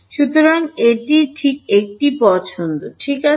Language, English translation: Bengali, So, this is just one choice ok